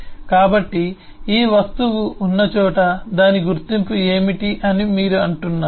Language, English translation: Telugu, so you say what is the identity of the object is wherever it exist